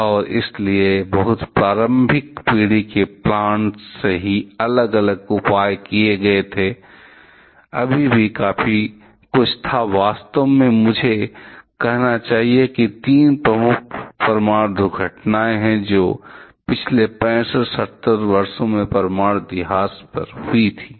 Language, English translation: Hindi, And therefore, different safety measures were taken from very early generation plants itself; still there were quite a few actually I should say there are three quite prominent nuclear accidents, which happened over the over last 65 70 years of nuclear history